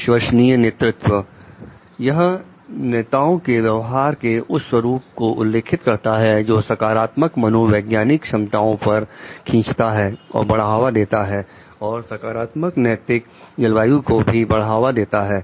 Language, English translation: Hindi, Authentic leadership; then authentic leadership refers to pattern of leader behavior that draws upon and promotes both positive psychological capacities and the positive ethical climate